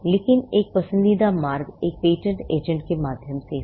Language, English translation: Hindi, But the preferred route is through a patent agent